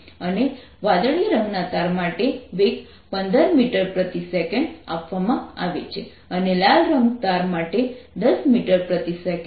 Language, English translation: Gujarati, and the velocities are given to be for the blue string, its fifteen meters per and for the red string its ten meters per second